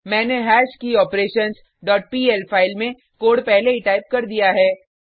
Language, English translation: Hindi, I have already typed the code in hashKeyOperations dot pl file